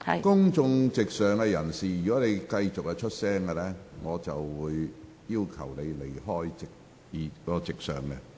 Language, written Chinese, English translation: Cantonese, 公眾席上的人士，如果你們繼續發出聲音，我會要求你們離開公眾席。, People in the public gallery if any one of you continues to make noises I will ask him to leave the public gallery